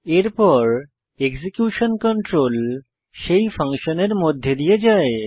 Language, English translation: Bengali, Then, the execution control is passed to that function